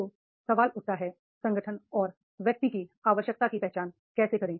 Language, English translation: Hindi, So, question arises how to identify the need of organization and the individual